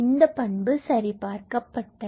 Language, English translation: Tamil, So, this property is verified